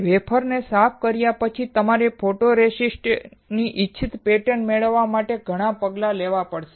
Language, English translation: Gujarati, After cleaning the wafer, you have to perform several steps to obtain the desired pattern of the photoresist